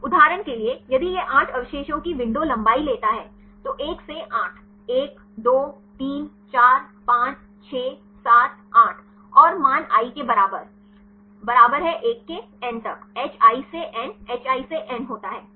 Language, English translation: Hindi, For example if it takes window length of 8 residues take 1 to 8, 1 2 3 4 5 6 7 8 and the value is equal to i equal to 1, to n, hi by n, hi by n